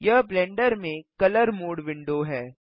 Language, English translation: Hindi, This is the colour mode window in Blender